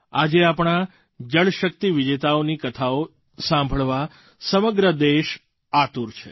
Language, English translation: Gujarati, Today the entire country is eager to hear similar accomplishments of our Jal Shakti champions